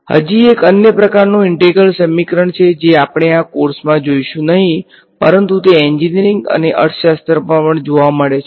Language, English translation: Gujarati, There is yet another kind of integral equation which we will not come across in this course, but they also occur throughout engineering and even economics